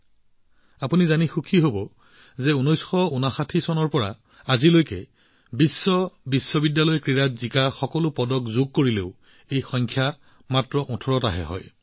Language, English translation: Assamese, You will be pleased to know that even if we add all the medals won in all the World University Games that have been held since 1959, this number reaches only 18